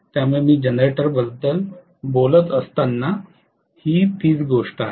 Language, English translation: Marathi, So this is the case when I am talking about the generator